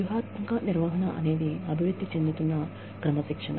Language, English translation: Telugu, Strategic management is an evolving discipline